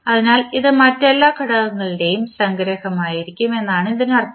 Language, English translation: Malayalam, So, that means this will be summation of all other components